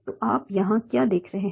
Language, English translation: Hindi, So what you are seeing here